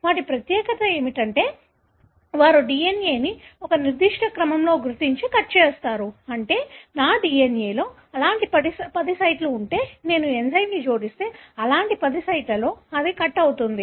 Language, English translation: Telugu, So, what is special about them is that, they recognize and cut DNA at a particular sequence, meaning if there are ten such sites in my DNA, if I add enzyme it will cut exactly at the ten such sites